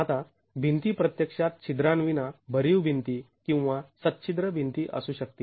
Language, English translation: Marathi, Now the walls can actually be solid walls with no perforations or walls with perforations